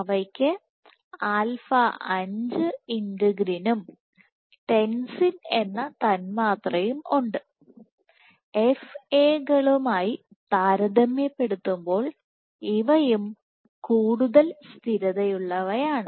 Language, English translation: Malayalam, So, central region of cells and they have alpha 5 integrin and the molecule called tensin in and these are also more stable compared to FAs